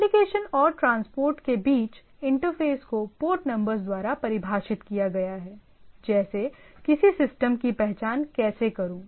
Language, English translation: Hindi, Interface between the application and transport layer is defined by port numbers, right like how do I identify a system